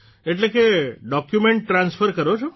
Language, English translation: Gujarati, That means you transfer the documents